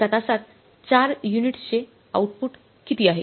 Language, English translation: Marathi, In one hour of how much is output